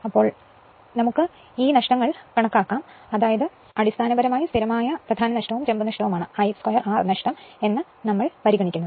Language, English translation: Malayalam, So, we will consider that these loss is very basically constant core loss right and copper loss that is I square R loss right